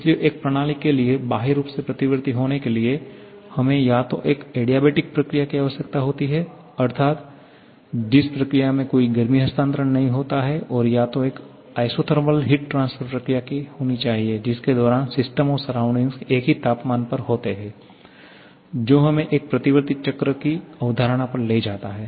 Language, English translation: Hindi, Therefore, for a system to be externally reversible, we need to have either an adiabatic process that is no heat transfer or an isothermal heat transfer process during which system and surrounding are at the same temperature, that takes us to the concept of a reversible cycle